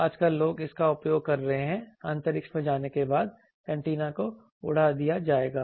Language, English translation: Hindi, Nowadays, people are using that that after going to space antenna will be flown